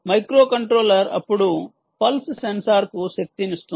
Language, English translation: Telugu, the microcontroller then energizes the pulse sensor, ah